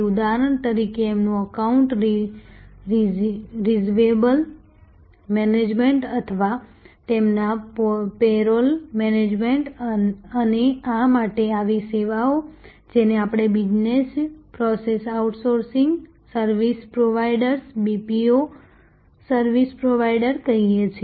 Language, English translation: Gujarati, For example, their account receivable management or their payroll management and such services to this, what we call business process outsourcing, service providers, BPO service providers